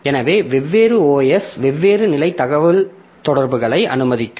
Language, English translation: Tamil, So, different OS will allow different level of communication